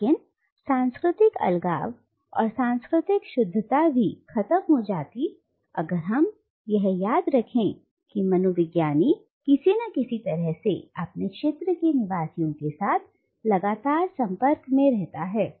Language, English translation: Hindi, But the notion of cultural isolation and cultural purity also crumbles if we remember that the anthropologist is communicating with the inhabitants of his or her field of study in some way or the other